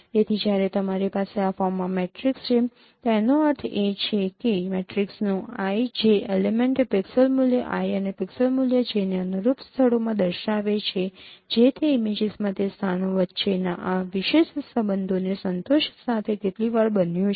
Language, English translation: Gujarati, So when you have a matrix in this form, that means IJ element of that matrix denotes the pixel value I and pixel value J in corresponding locations with satisfying the spatial relationships between those locations throughout the image is how many times that has occurred